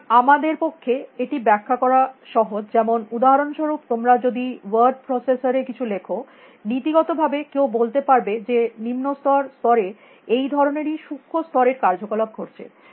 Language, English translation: Bengali, So, it is easy for us to explain; for example, if you type something in a word processor, in principle somebody can say that at the lowest level, these are the kind of micro level operations which were taking place